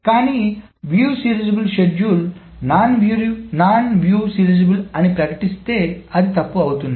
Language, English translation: Telugu, So it may miss a view serializable schedule but if a schedule is non viewed serializable, it will surely catch it